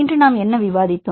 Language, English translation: Tamil, Summarizing what did we discussed today